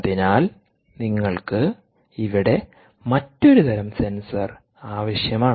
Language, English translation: Malayalam, so you need a different type of sensor here